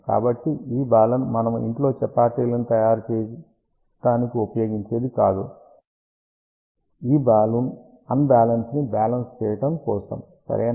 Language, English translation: Telugu, So, Balun is not what we used to make chapatis at home, this Balun stands for balance to unbalance ok